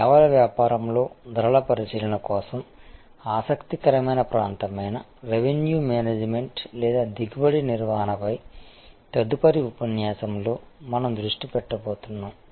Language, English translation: Telugu, We are going to focus in the next lecture on revenue management or yield management, an interesting area for pricing considerations in the services business